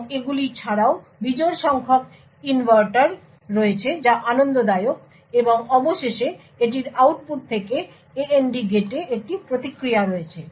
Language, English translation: Bengali, And besides these there are odd number of inverters that are pleasant and finally it has a feedback from the output to the AND gate